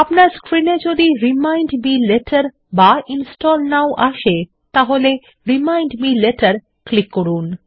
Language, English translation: Bengali, If you get a screen saying Remind me later or Install now, click on Remind me later